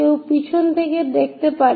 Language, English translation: Bengali, One can look from back also